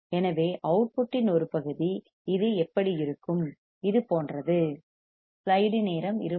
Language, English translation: Tamil, So, part of the output how it looks like, like this